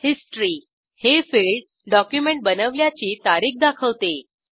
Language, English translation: Marathi, History – This field shows the Creation date of the document